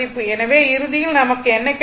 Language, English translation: Tamil, So, ultimately, what we got